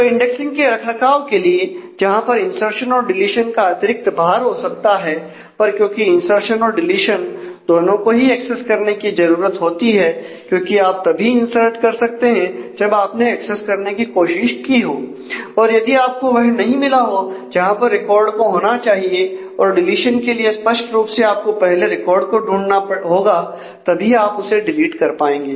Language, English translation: Hindi, So, in that maintenance of indexing whereas, insertion and deletion might have some additional overhead, but since insertion and deletion both inherently needs access to be done because you can insert only when you have tried to access and have not found exactly where the record should occur or for deletion; obviously, you need to first find the record to be able to delete it